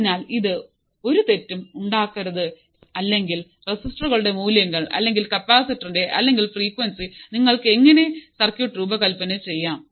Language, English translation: Malayalam, So, there should be no mistake in this or if for the given values of resistors or capacitor or frequency how you can design the circuit